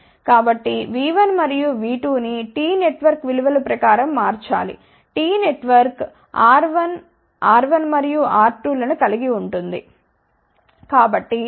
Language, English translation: Telugu, So, we have to change these V 1 and V 2 according to the values given for the teen network, which consisted of R 1 R 1 and R 2